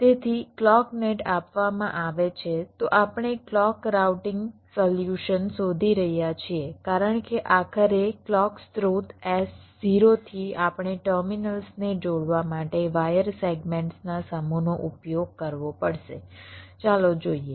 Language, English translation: Gujarati, so we are looking for a clock routing solution because ultimately, from the clock source s zero, we have to use a set of wire segments to connect the terminals